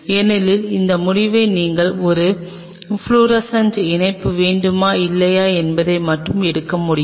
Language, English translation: Tamil, Because that decision only you can take whether you want a fluorescent attachment or not